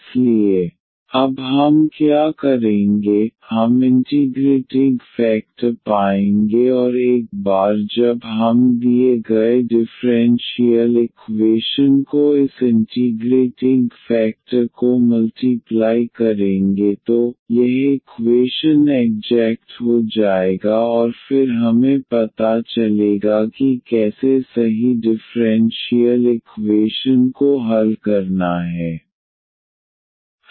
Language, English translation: Hindi, So, what we will do now, we will find the integrating factor and once we multiply this integrating factor to the given differential equation then this equation will become exact and then we know how to solve the exact differential equation